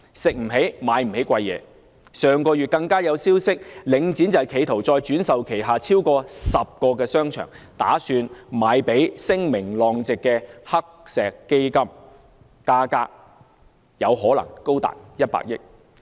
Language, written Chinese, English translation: Cantonese, 上月更有消息傳出，領展企圖再轉售旗下超過10個商場，打算把它們賣給聲名狼藉的黑石基金，價格更可能高達100億元。, There was even a piece of news last month suggesting that the Link REIT was planning to sell more than 10 of its shopping malls to the notorious Blackstone Fund for as high as 10 billion . The senior executives of the Link REIT have also played financial tricks